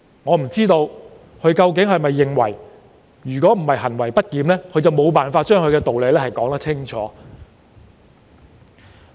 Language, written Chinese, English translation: Cantonese, 我不知道他是否因為自己行為不檢而無法將道理說清楚。, I wonder if he was unable to make his point clear as he was afraid that he might exhibit disorderly conduct